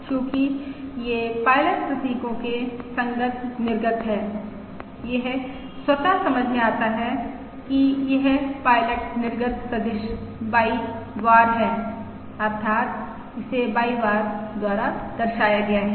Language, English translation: Hindi, Since these are the outputs corresponding to the pilot symbols, it is automatically understood that this is the pilot output vector Y bar, that is, this is denoted by Y bar